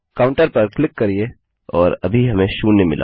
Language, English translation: Hindi, Click on counter and weve got zero at the moment